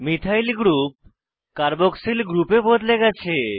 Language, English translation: Bengali, Methyl group is converted to a Carboxyl group